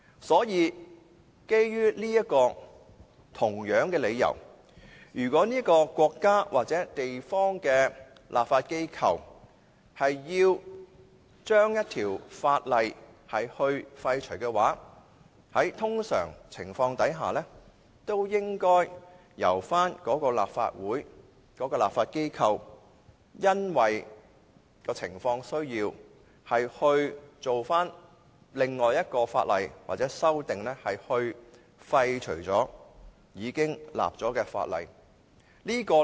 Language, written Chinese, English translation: Cantonese, 所以，基於同樣理由，如果某國家或地區的立法機構要廢除一條法例的話，在通常的情況下，也應由立法會或立法機構因應情況的需要，訂立另一法例或提出修訂，以廢除已訂立的法例。, By the same token if the legislature of a country or a region is to repeal a law under normal circumstances its Legislative Council or legislature should depending on the circumstances enact another piece of legislation or propose amendments to repeal the piece of legislation that has already been enacted